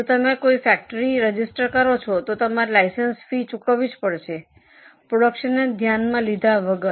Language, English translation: Gujarati, If you register for a factory, you pay license fee, irrespect your production